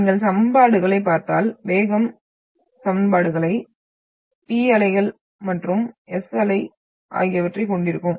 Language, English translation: Tamil, And if you look at the equations, we are having the P wave and S wave, the velocity equations